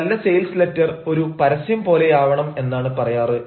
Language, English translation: Malayalam, it has been said that a successful sales letter should be written like an advertisement